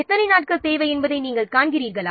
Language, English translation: Tamil, You see how many days are required